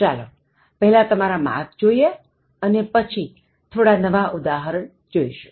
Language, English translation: Gujarati, Let’s check your score and then look at some new examples